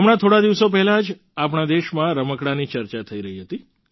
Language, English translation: Gujarati, Just a few days ago, toys in our country were being discussed